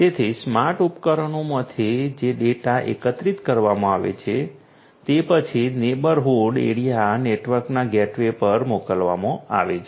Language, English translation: Gujarati, So, the data that are collected from the smart devices are then sent to the gateways in the neighborhood area network